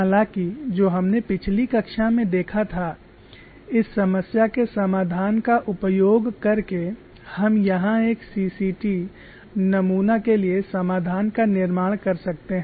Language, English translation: Hindi, However, what we saw in the last class was using the solution of this problem, we could construct solutions for a CCT specimen center cracked tension specimen